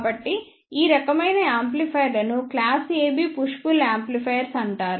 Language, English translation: Telugu, So, these type of amplifiers are known as the class AB push pull amplifiers